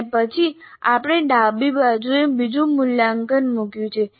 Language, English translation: Gujarati, And then we have put another evaluate on the left side